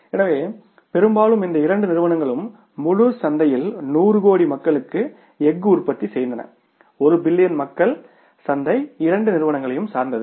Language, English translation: Tamil, So largely largely these were the two companies who were manufacturing steel and the entire market of means 100 crore people, 1 billion people's market that was dependent upon the two companies